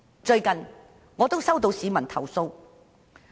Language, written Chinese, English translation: Cantonese, 最近，我接獲一名市民的投訴。, Recently I have received a complaint from a member of the public